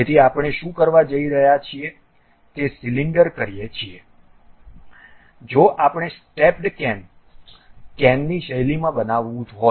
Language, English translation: Gujarati, So, what we are going to do is a close cylinder if we want to construct in a stepped way cane, cane style